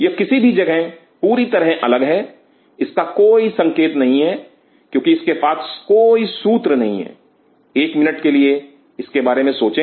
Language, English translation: Hindi, It is any space totally different it has no clue why it has no clue think of it for a minute